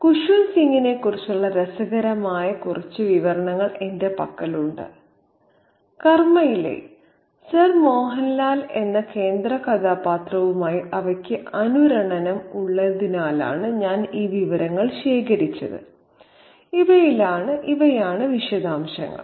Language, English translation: Malayalam, I have a few interesting snippets of information about Kushwan Singh and I called these pieces of information because they have a resonance with the central character of Sir Mohun Lal in his short story Karma